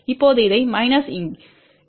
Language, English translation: Tamil, Now, minus this term here 2 Z 1 Y 2